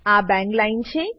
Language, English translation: Gujarati, This is the bang line